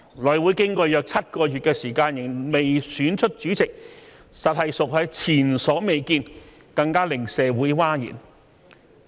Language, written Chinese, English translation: Cantonese, 內會經過約7個月時間仍未選出主席，實屬前所未見，更令社會譁然。, It was unprecedented and shocking to the community that a Chairman could still not be elected by the House Committee after about seven months